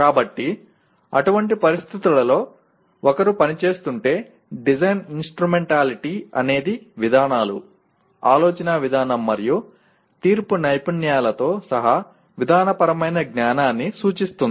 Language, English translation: Telugu, So in such situation if one is operating, the design instrumentality refers to procedural knowledge including the procedures, way of thinking and judgmental skills by which it is done